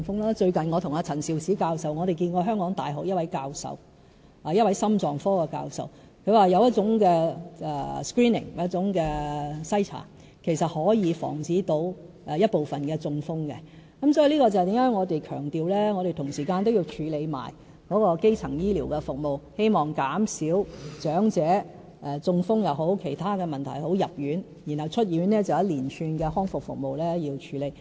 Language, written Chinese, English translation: Cantonese, 我最近和陳肇始教授與一位香港大學心臟科的教授會面，他表示有一種 screening 可以防止部分的中風，這便是何以我們強調同時要處理基層醫療的服務，希望減少長者因中風或其他問題入院，然後出院後便是一連串康復服務需要處理。, Recently I have met with Prof Sophia CHAN and a professor in cardiology at the University of Hong Kong . As pointed out by the cardiologist a certain type of screening can help prevent some stroke cases . This explains why we stress the need for reviewing primary health care services at the same time